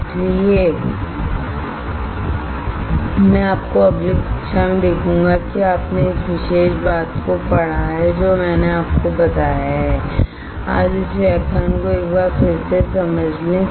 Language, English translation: Hindi, So, I will see you in the next class you read this particular things that I have told you today understand this lecture once again right